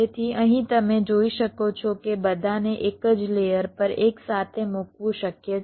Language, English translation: Gujarati, so here, as you can see, that it is possible to put all of them together on the same layer